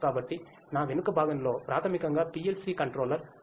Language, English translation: Telugu, So, on my back is basically the PLC controller